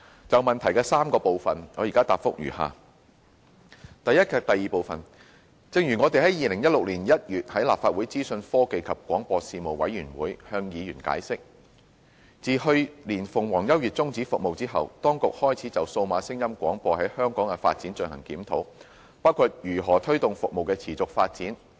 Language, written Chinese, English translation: Cantonese, 就質詢的3個部分，我現答覆如下：一及二正如我們於2016年1月在立法會資訊科技及廣播事務委員會向議員解釋，自去年鳳凰優悅終止服務後，當局開始就數碼廣播在香港的發展進行檢討，包括如何推動服務的持續發展。, My consolidated reply to the three parts of the question is as follows 1 and 2 As explained to Members of the Legislative Council Panel on Information Technology and Broadcasting in January 2016 we commenced a review on the development of DAB services in Hong Kong after the cessation of such services by Phoenix U last year including how to promote the sustainable development of DAB services